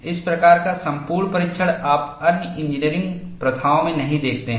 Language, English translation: Hindi, This kind of exhaustive testing, you do not see in other engineering practices